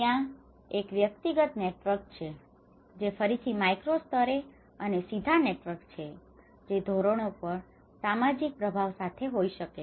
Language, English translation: Gujarati, There is a personal networks which again the micro level and the direct networks which could be with the social influence on the norms